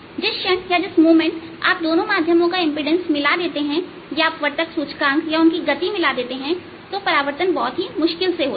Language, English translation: Hindi, the moment you match the impedance or refractive index or velocities of the two mediums